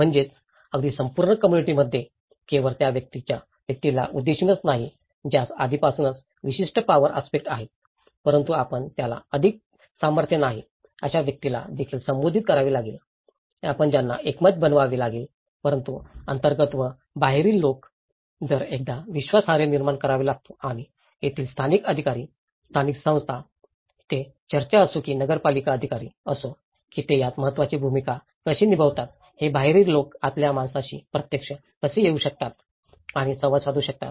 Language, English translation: Marathi, So, even across the communities, it is not just only addressing the person who already have certain power aspect but you also have to address who is not having any power so, you have to bring them into the consensus but insiders and outsiders; so how an outsider can actually come and interact with the insider because one has to build a trust and that is where local authorities, local agencies, whether it is a church, whether it is a municipal authority, how they play an a vital role in bringing an interaction between an insider and outsider